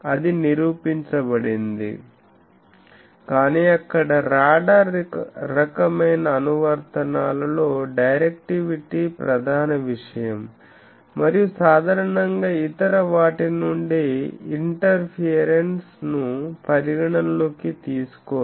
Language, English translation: Telugu, So, that is proven, but in radar type of applications there the directivity is prime thing and generally they do not consider, they do not bother about the interference from others